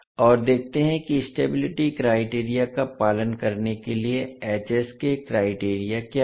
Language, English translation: Hindi, And let us see what is the criteria for this h s to follow the stability criteria